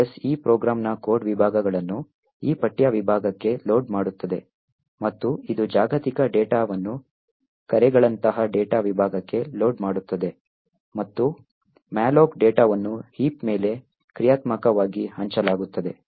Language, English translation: Kannada, The OS would load the code segments of this particular program into this text segment, it would load the global data such as calls into the data segment and whenever there is a malloc like this, which is dynamically allocated data, so this data gets allocated into the heap